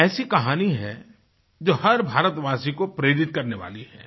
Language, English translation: Hindi, This is a story that can be inspiring for all Indians